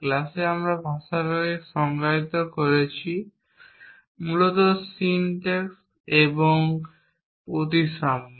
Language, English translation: Bengali, In the class, we defined the language, essentially the syntax and symmetries